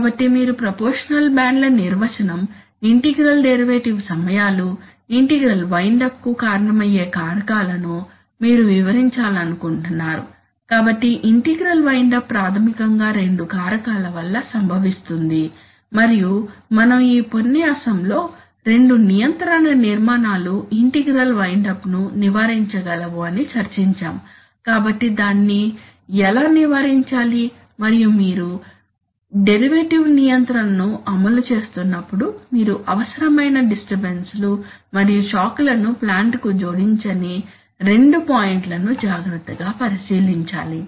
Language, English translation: Telugu, So you might like to write yourself the definition of proportional bands, integral derivative times, it is, you would like to explain the factors that cause integral wind up, so integral wind up is basically caused by two factors, so what are those factors and we have discussed in this lecture two control architectures which will avoid integral wind up, so how to avoid that and then we have seen that while you are implementing derivative control, you have to take care of two points such that you do not add unnecessary disturbances and shocks to the plant